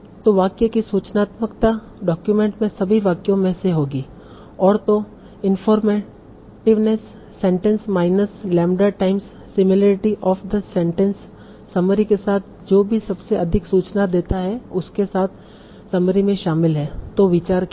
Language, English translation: Hindi, So, so information, informative of the sentence will be among all the sentence in the in the document, informativeness of the sentence minus lambda times similarity of sentence with the already existing summary and whichever gives the highest informativeness is included in the summary